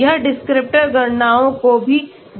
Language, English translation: Hindi, This also can look at descriptor calculations